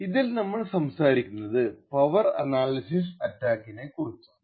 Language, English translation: Malayalam, In this video lecture we will talk about something known as Power Analysis Attacks